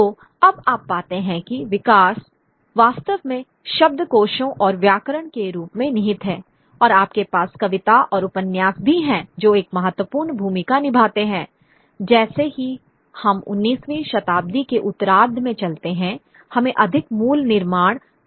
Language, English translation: Hindi, So now you find that the growth really lies in the form of dictionaries and grammars and you also have, you know, poetry and fiction playing an important role as we move towards the latter part of the 19th century